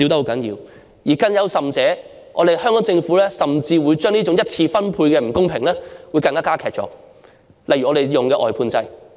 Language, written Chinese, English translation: Cantonese, 更甚的是，香港政府甚至將這種一次分配的不公加劇，例如採用外判制。, Worse still the Hong Kong Government is even aggravating the unfairness of the primary distribution by for instance adopting the outsourcing system